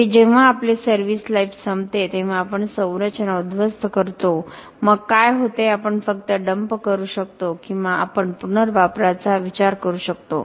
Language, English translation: Marathi, Finally, we demolish structure when we run out of the service life, then what happens we might just dump or can we think of recycling